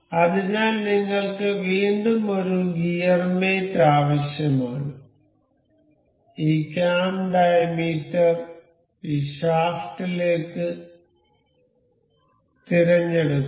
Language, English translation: Malayalam, So, we again need a gear mate select this cam diameter to this shaft